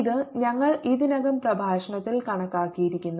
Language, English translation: Malayalam, this we had already calculated in the lecture